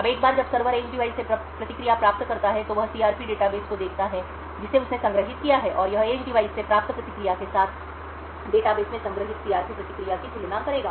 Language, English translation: Hindi, Now once the server obtains the response from the edge device, it would look of the CRP database that it has stored and it would compare the CRP the response stored in the database with the response obtained from the edge device